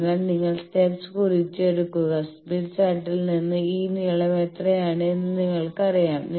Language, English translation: Malayalam, So, you note down the steps and from smith chart you then know, what is this length